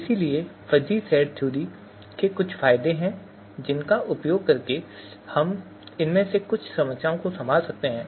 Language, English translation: Hindi, So fuzzy set theory has certain advantages using which we can handle some of these problems